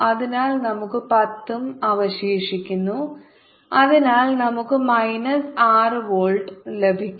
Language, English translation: Malayalam, this goes to zero, so we are left with pen, and so we get minus six volt